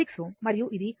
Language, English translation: Telugu, 6 ohm and this is 0